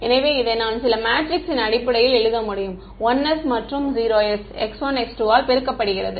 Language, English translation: Tamil, So, I can write this in terms of some matrix which is composed of 1s and 0s multiplied by x 1 x 2